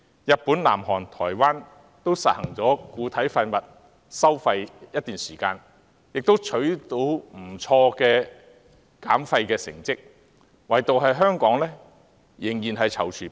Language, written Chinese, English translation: Cantonese, 日本、南韓及台灣均已實行固體廢物收費一段時間，亦取得不錯的減廢成績，唯獨香港仍然躊躇不前。, Japan South Korea and Taiwan have implemented solid waste charging for quite some time and achieved satisfactory results in terms of waste reduction . Only Hong Kong still has qualms about moving forward